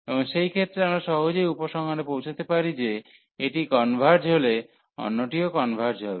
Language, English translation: Bengali, And in that case, we can conclude easily that if this converges the other one will also converge and if this converge this was also converge